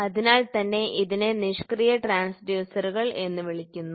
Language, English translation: Malayalam, So, that is why it is called as passive transducers